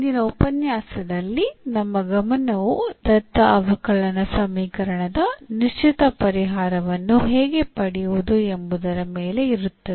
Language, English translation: Kannada, So, in today’s lecture, our focus will be how to find a particular solution of the given differential equation